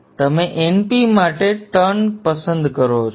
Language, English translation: Gujarati, Then afterwards you choose the turns for np